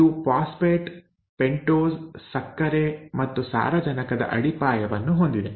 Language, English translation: Kannada, So it has a phosphate, a pentose sugar and the nitrogenous base